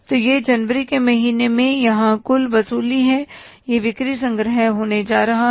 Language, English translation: Hindi, In the month of January, this is going to be the sales collection